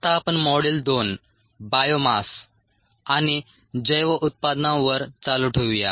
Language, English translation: Marathi, module two is on biomass, cells and bio products